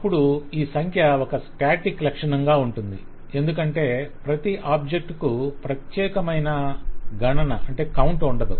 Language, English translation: Telugu, This count will be a static feature because every object will not have a separate count because it is just one of those object